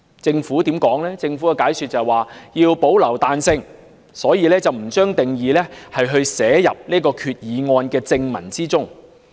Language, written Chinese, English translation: Cantonese, 政府解釋，為保留彈性，因此不將定義納入擬議決議案的正文中。, As explained by the Government in order to retain flexibility it has not included the definition in the body text of the proposed Resolution